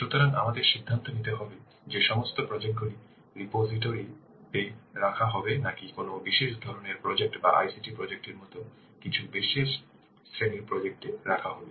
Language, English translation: Bengali, So we must also decide whether to have all the projects in the repository or only a special category of projects like as ICT projects